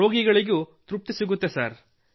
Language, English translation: Kannada, We also get satisfaction sir